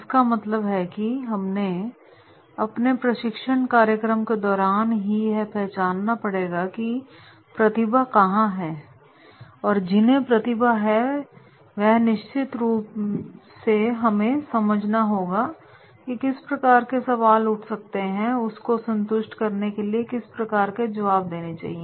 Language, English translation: Hindi, It means that we have to identify during our training program where is the talent, and those who are talented then definitely we have to understand that is what type of the questions may arise and what type of the answers will satisfy them